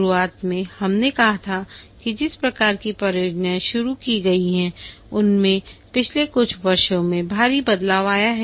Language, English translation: Hindi, At the beginning we had said that the type of projects that are undertaken have undergone a drastic change over the years